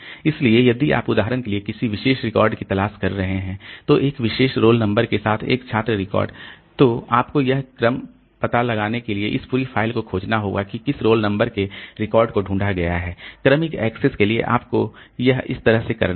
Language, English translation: Hindi, So, if you are looking for a particular record, for example a student record with a particular role number, then it is you have to search this entire file to figure out like which record has got that role number